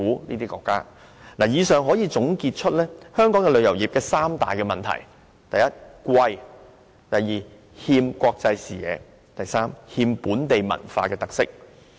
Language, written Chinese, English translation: Cantonese, 從上述情況可以得出以下結論：香港旅遊業有三大問題，就是物價昂貴、欠缺國際視野，以及欠缺本地文化特色。, From these situations we can draw the following conclusion Hong Kongs tourism industry has three main problems namely high prices a lack of international perspective and an absence of local cultural characteristics